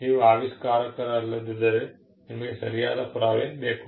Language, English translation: Kannada, If you are not the inventor, then, you require a proof of right